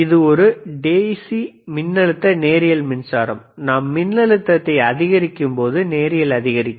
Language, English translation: Tamil, DC iIt is a DC voltage linear power supply, linearly increases when we increase the voltage